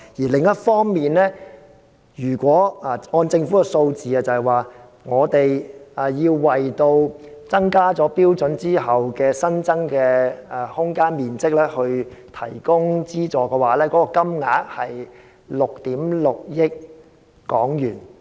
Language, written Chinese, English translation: Cantonese, 另一方面，根據政府的數字，如果我們要為提升標準後的新增面積提供資助，金額是6億 6,000 萬元。, Meanwhile according to the Governments figures if we need to provide subsidies for the additional area after the standard is raised the amount will be 660 million